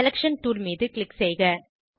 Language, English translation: Tamil, Click on Selection tool